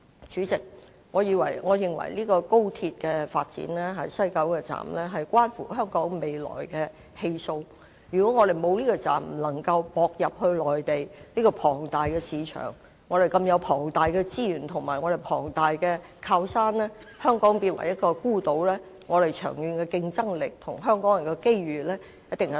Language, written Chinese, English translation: Cantonese, 主席，我認為高鐵西九站關乎香港未來的氣數，如果我們沒有這個車站，便不能接駁內地這個龐大市場、這個龐大的資源和靠山，令香港變成孤島，一定會大大削弱我們長遠的競爭力和香港人的機遇。, President West Kowloon Station of the XRL is closely related to the future fate of Hong Kong . If we do not have this station we cannot connect to the enormous Mainland market a hinterland with huge resources and we will become an isolated island . This will seriously undermine our competitiveness in the long run and reduce the opportunities for Hong Kong people